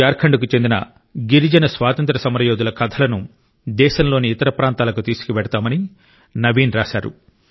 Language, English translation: Telugu, Naveen has written that he will disseminate stories of the tribal freedom fighters of Jharkhand to other parts of the country